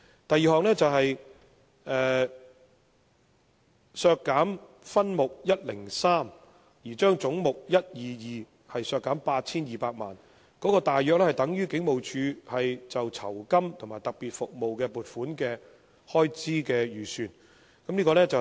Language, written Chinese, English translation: Cantonese, 第二項是為削減分目103而將總目122削減 8,200 萬元，大約相當於警務處就酬金及特別服務的撥款預算開支。, The second one is that head 122 be reduced by 82 million in respect of subhead 103 approximately equivalent to the estimated expenditure of HKPR on reward and special services